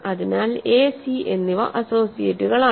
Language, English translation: Malayalam, So, a and c are associates